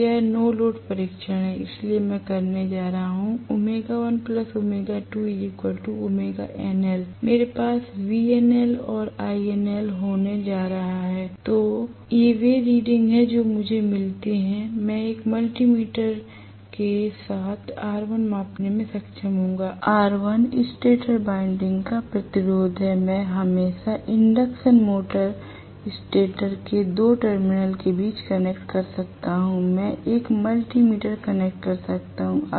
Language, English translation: Hindi, So, this is the no load test, so I am going to have W1 plus W2 equal to W no load, and I am going to have V no load and I no load, these are the readings that I get, R1 I would be able to measure just with a multi meter it is not a big deal, R1 is the resistance of the stator winding, I can always connect may be between 2 terminal of the induction motor stator, I can connect a multi meter